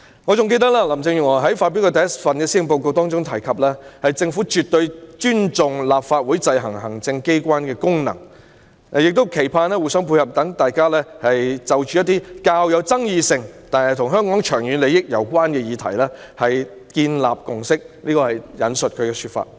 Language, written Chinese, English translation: Cantonese, 我還記得林鄭月娥發表的第一份施政報告提及，："政府絕對尊重立法會制衡行政機關的功能，但也期盼互相配合，讓大家有機會就着一些較有爭議性但與香港長遠利益攸關的議題建立共識"，這是她的說法。, I still remember that the first policy address presented by Carrie LAM mentioned I quote While the Government fully respects the functions of the Legislative Council to exercise checks and balances on the executive authorities we hope that through co - operation we can reach consensus on issues that are controversial and yet strategically important for the long - term development of Hong Kong . End of quote This is what she said